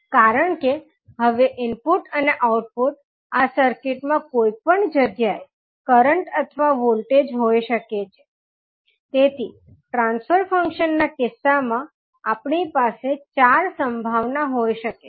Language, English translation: Gujarati, Now, since the input and output can either current or voltage at any place in this circuit, so therefore, we can have four possibilities in case of the transfer function